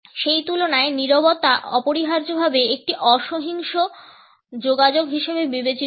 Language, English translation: Bengali, In comparison to that silence is necessarily considered as a non violent communication